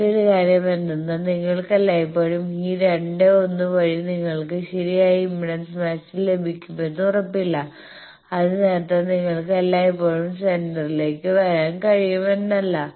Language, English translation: Malayalam, So, this is another thing at in certain cases you cannot always it is not guaranteed that by this 2, 1 you can get a proper impedance matching that means, always you will be able to come to centre that is not